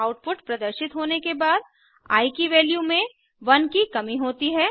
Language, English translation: Hindi, After the output is displayed, value of i is decremented by 1